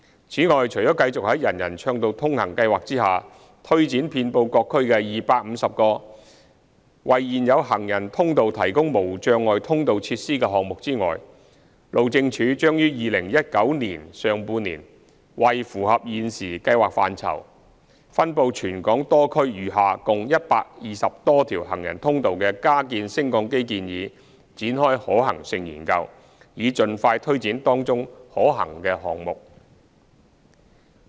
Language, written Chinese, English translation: Cantonese, 此外，除了繼續在"人人暢道通行"計劃下推展遍布各區的250個為現有行人通道提供無障礙通道設施的項目外，路政署將於2019年上半年為符合現時計劃範疇、分布全港多區餘下共120多條行人通道的加建升降機建議展開可行性研究，以盡快推展當中可行的項目。, In addition apart from continuing to take forward items under the Universal Accessibility Programme to retrofit barrier - free access facilities at 250 existing walkways across various districts the Highways Department will commence a feasibility study in the first half of 2019 on lift retrofitting proposals for the remaining some 120 walkways in total under the current ambit of the programme across various districts of Hong Kong with a view to taking forward the feasible items expeditiously